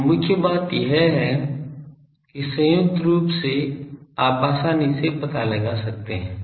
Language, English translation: Hindi, So, main thing is from there the joint one you can easily find out